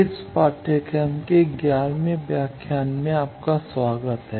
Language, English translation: Hindi, Welcome to the eleventh lecture of this course